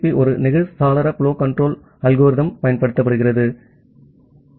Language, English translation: Tamil, So, TCP uses a sliding window flow control algorithm with this go back N principle go back N ARQ principle